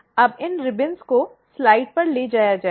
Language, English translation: Hindi, Now, these ribbons will be taken on the slide